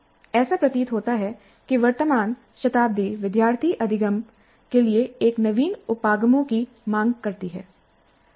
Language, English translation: Hindi, The present century seems to demand such novel approaches to student learning